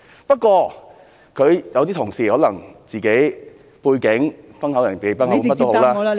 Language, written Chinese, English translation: Cantonese, 不過，有些同事可能因為自己的背景，"崩口人忌崩口碗"，甚麼也好......, However some Honourable colleagues may because of their background regard a sore subject as a taboo subject or whatever